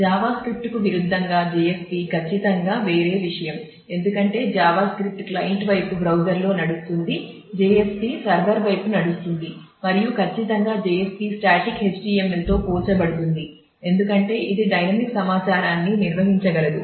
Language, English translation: Telugu, JSP in contrast with Java script is certainly a different thing because Java script runs on the browser on the client side, JSP runs on the server side and certainly JSP is compared to static HTML is more powerful because it can handle dynamic information